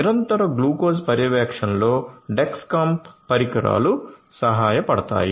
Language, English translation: Telugu, Dexcom devices can help in continuous glucose monitoring